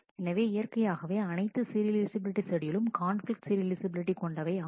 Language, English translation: Tamil, So, naturally all serializable schedules are they conflict serializable